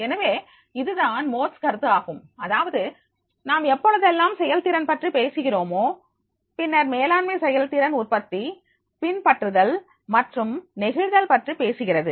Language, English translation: Tamil, So, that is a most concept only, that is whenever we are talking the effectiveness, then managerial effectiveness is talking about the productivity, adaptability and flexibility